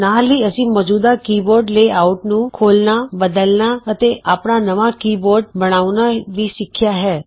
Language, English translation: Punjabi, We also learnt to open an existing keyboard layout, modify it, and create our own keyboard